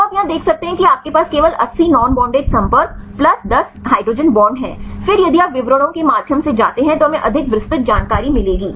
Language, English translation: Hindi, So, you can see here you have only the 80 non bonded contacts plus 10 hydrogen bonds, then if you go through the details we will get the more detailed information right